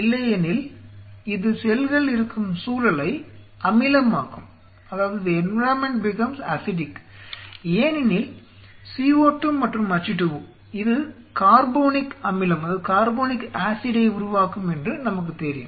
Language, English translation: Tamil, Otherwise this will make the environment acidic because CO2 plus H2O we know that it will perform carbonic acid